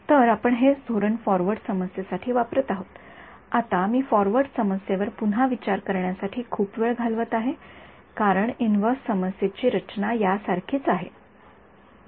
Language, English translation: Marathi, So, we this is the strategy that we use for the forward problem, now the reason I am spending so much time on recapping the forward problem is because the inverse problem is very similar in structure ok